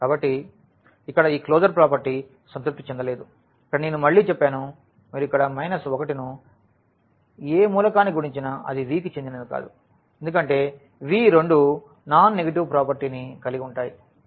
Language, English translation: Telugu, So, here this closure property is not satisfied like here I have stated again the minus 1 when you multiply to any element here that will not belong to V because the V has the property that both are non negative